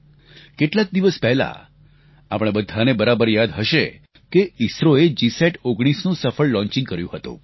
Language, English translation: Gujarati, We are all aware that a few days ago, ISRO has successfully launched the GSAT19